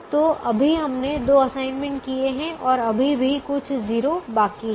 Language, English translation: Hindi, so right now we have made two assignments and there are still some zeros that are left